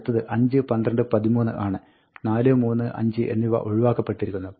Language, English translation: Malayalam, Next one is 5, 12, 13; 4, 3, 5 is eliminated